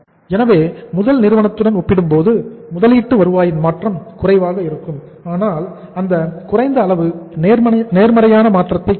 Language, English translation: Tamil, So it means the change in the return on investment will be low as compared with the first firm but that low will be means a positive change